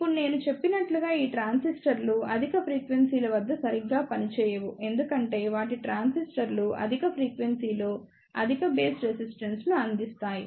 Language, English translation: Telugu, Now, as I mentioned these transistors do not work properly at higher frequencies due to their internal limitations like these transistors provide higher base resistance at the higher frequency